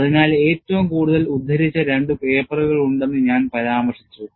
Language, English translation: Malayalam, So, I mentioned that, there are 2 most quoted papers and what was the other paper